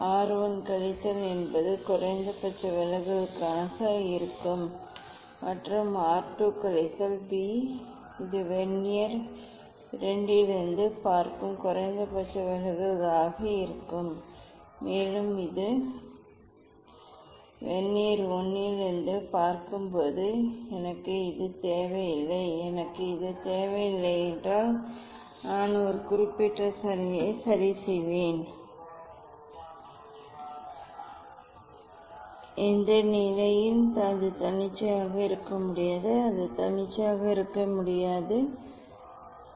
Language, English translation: Tamil, R 1 minus a that will be the minimum deviation and R 2 minus b that will be the minimum deviation from this seeing from Vernier II and this seeing from Vernier I these just I do not need that one, I do not need this on, but, this we are fixing or prism at a particular position in which position it cannot be arbitrary it cannot be arbitrary ok, why we have chosen this one